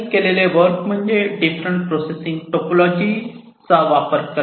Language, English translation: Marathi, they talk about the use of different processing topologies